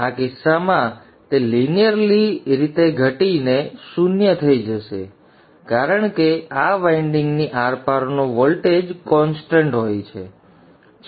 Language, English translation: Gujarati, In this case it will linearly decrease to zero because the voltage across this winding is constant